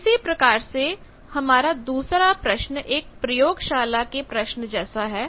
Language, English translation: Hindi, Similarly, the second problem is like our laboratory problem